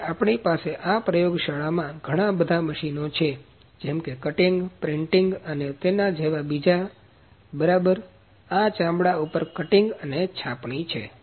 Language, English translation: Gujarati, Now in this lab we have number of machines; cutting, printing or like this is ok this is cutting and printing on leather